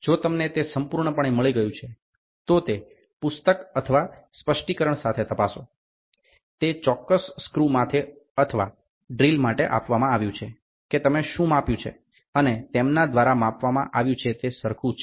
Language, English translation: Gujarati, If you perfectly got it, check with the book or the specification, which is given for that particular screw or for the drill what you have measured and what is given by them is matching